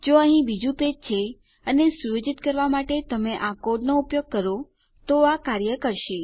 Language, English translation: Gujarati, If this is any other page over here and you use this code to set, it will work